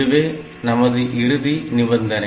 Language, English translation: Tamil, So, this is the requirement